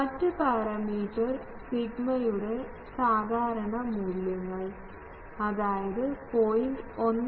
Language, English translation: Malayalam, , and typical values of the other parameter sigma; that is 0